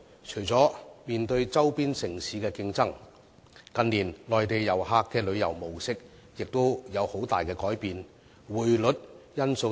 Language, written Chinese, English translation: Cantonese, 除了面對周邊城市的競爭外，近年內地旅客的旅遊模式亦出現了很大的改變，還有匯率因素等。, In addition to competition from neighbouring cities there have been great changes in the travel pattern of Mainland visitors in recent years . There is also the factor of exchange rate movements